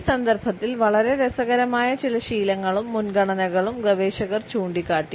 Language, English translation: Malayalam, Researchers have pointed out some very interesting habits and preferences in this context